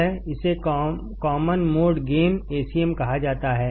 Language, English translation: Hindi, It is called as the common mode gain Acm